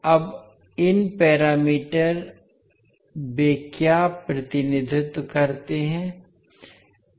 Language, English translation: Hindi, Now these parameters, what they represent